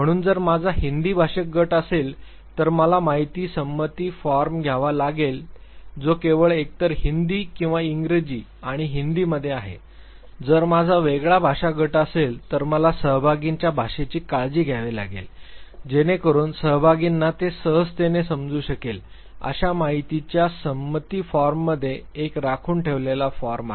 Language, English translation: Marathi, So, if I have a Hindi speaking group I will have to have the informed consent form which is either only in Hindi or English and Hindi, if I have different language group, I have to take care of the language of the participants so that whatever is a retained in the informed consent form the participants can understand it easily